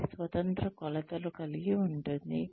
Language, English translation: Telugu, It contains independent dimensions